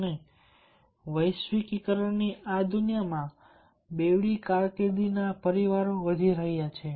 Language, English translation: Gujarati, and in a globalized world, dual carrier families are in raise